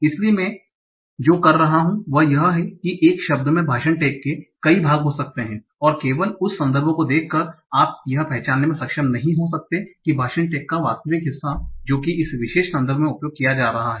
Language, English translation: Hindi, So what I'm saying is that a word might have multiple part of speech tax and only by seeing the context you might be able to identify what is the actual part of speech tag it is being used in this particular context